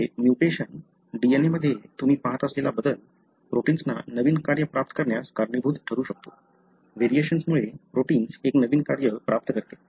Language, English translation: Marathi, Here the mutation, the change that you see in the DNA could result in the gain of a novel function for the protein